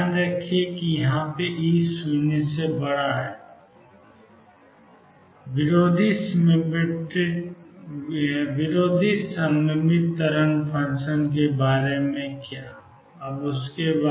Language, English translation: Hindi, Now how about the anti symmetric wave function